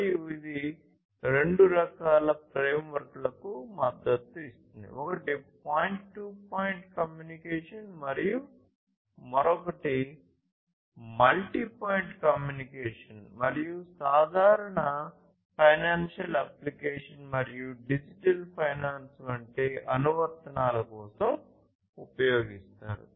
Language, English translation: Telugu, And, it supports two types of framework: one is the point to point communication and the other one is multi point communication and is typically used for application such as financial applications, digital finance and so on